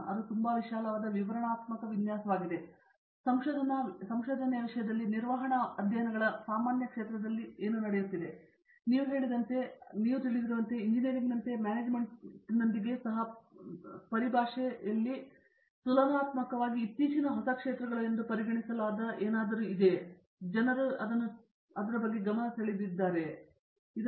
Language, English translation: Kannada, That’s a very I mean elaborate, detailed layout of what are; what is happening in the general field of management studies in terms of research and so on and as you mentioned you know like with the engineering I presume that even with management there are areas of research that are considered relatively recent in terms of, you know with the way the people have given attention to it and so on